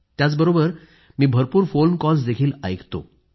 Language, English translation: Marathi, I listen to many phone calls too